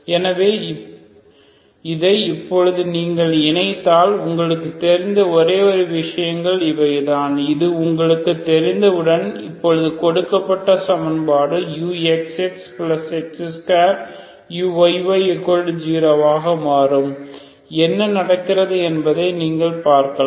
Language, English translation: Tamil, So if you combine this now, once you know these are the only things you know so now the given equation that is U X X plus X square U Y Y equal to zero becomes, you can see what happens